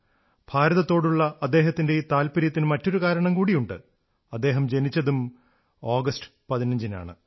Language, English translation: Malayalam, Another reason for his profound association with India is that, he was also born on 15thAugust